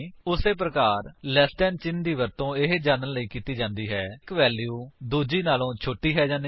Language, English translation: Punjabi, Similarly, less than symbol is used to check if one value is less than the other